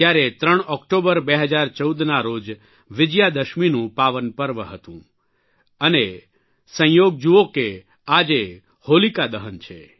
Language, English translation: Gujarati, Then, on the 3rd of October, 2014, it was the pious occasion of Vijayadashmi; look at the coincidence today it is Holika Dahan